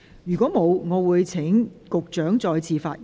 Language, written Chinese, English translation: Cantonese, 如果沒有，我現在請局長再次發言。, If not I now call upon the Secretary to speak again